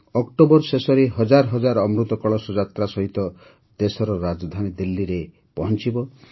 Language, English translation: Odia, At the end of October, thousands will reach the country's capital Delhi with the Amrit Kalash Yatra